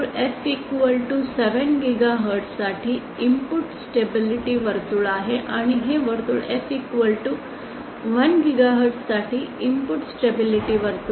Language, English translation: Marathi, This circle is the input stability circle for f=7 gigahertz and this circle is the input stability circle for f= 1 gigahertz